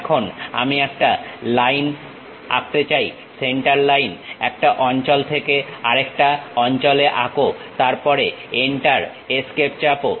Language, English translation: Bengali, Now, I would like to draw a line, Centerline; draw from one location to other location, then press Enter, Escape